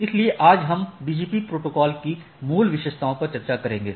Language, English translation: Hindi, So, today we will be as we are discussing is the basic feature of BGP protocol